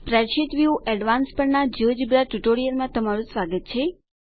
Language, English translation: Gujarati, Welcome to this geogebra tutorial on Spreadsheet view advanced